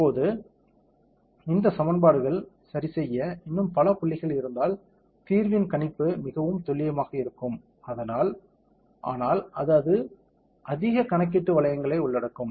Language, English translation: Tamil, Now, the prediction of the solution will be more accurate, if we have more points to solve for these equations correct; so, but then it will involve more computational resources